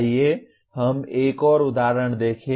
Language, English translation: Hindi, Let us look at another example